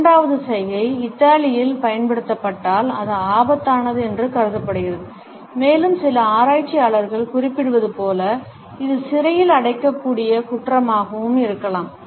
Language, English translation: Tamil, The second gesture if used in Italy is considered to be offensive and as some researchers suggest, it can be a jailable offense also